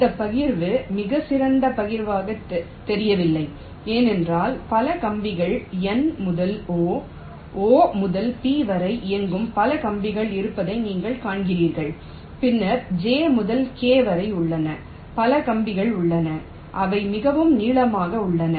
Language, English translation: Tamil, you see, this partition does not look to be a very good partition because you see there are several wires which are running pretty long: n to o, o to p, ok, there are then j to k